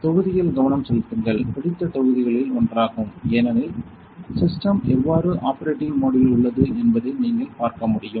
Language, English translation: Tamil, So, please focus on this module; this is one of my favorite modules because actually, you will be able to see how the system is in operating mode